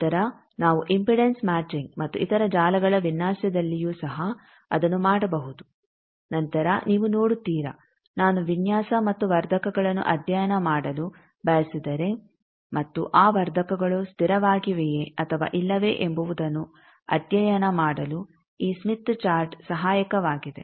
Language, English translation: Kannada, Also will see later also in impedance matching and others in any design of networks we can do that later you will see that if I want to study design and amplifier and I want to study whether that amplifier is stable or not then also this smith chart is helpful